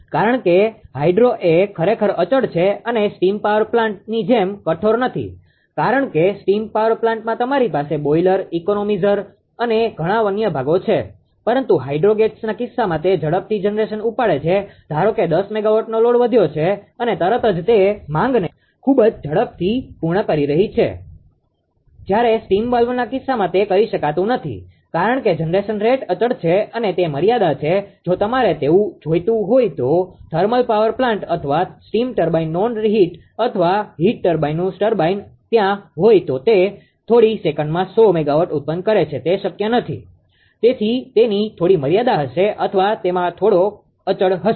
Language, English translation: Gujarati, Ah because hydro actually is ah your ah what your what I will say is constant and not that stringent like your steam power plant right because in the steam power plant you have boilers economizer many other many other parts right, but in the case of hydro gates it picks up the generation very faster suppose 10 megawatt load has increased and suddenly, it can meet the demand very quickly whereas, in the case of steam valve it cannot that because generation rate constant are limit if you want that thermal power plant or steam turbine right non reheat or heat type turbine if it is there it will generate a 100 megawatt in few second, it is not possible, it will it has some limit right or it has some constant